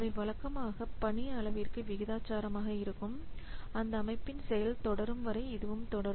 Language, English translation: Tamil, So, normally they are proportional to the volume of the work and they continue as long as the system is in operation